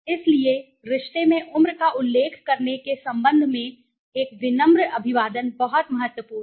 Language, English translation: Hindi, So, greetings a courteous greeting with respect to age mentioning in the relationship is very important